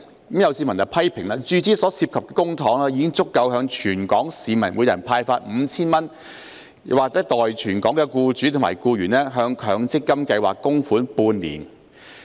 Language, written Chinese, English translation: Cantonese, 有市民批評，注資所涉公帑已足夠向全港市民每人派發 5,000 元，或代全港僱主及僱員向強積金計劃供款半年。, Some members of the public have criticized that the public money involved in the injection is sufficient for handing out 5,000 each to all members of the public in Hong Kong or making contributions to MPF schemes on behalf of all employers and employees in Hong Kong for half a year